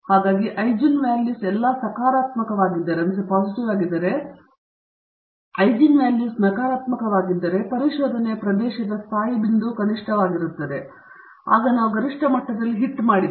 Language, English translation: Kannada, So, if the eigenvalues are all positive then, the stationary point in the region of exploration is a minimum, if the eigenvalues are negative then we have hit up on the maximum